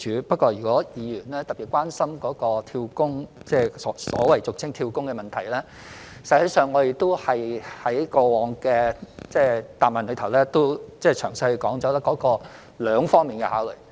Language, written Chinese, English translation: Cantonese, 不過，如果議員特別關心所謂"跳工"的問題，其實我們在過往的答覆中曾詳細說明兩方面的考慮。, However if Member has a special concern on the so - called job - hopping we have actually explained it in detail in past replies and there are two considerations